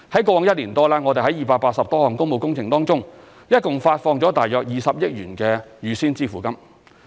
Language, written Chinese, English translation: Cantonese, 過往一年多，我們在280多項工務工程中，共發放約20億元預先支付金。, Over the past year or so a total of 2 billion advance payment has been made in over 280 public works contracts